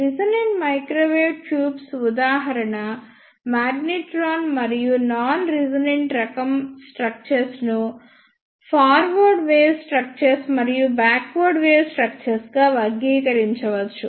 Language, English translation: Telugu, The example of ah resonant microwave tubes is a magnetron and the non resonant type of structures can be classified as forward wave ah structures and backward wave structures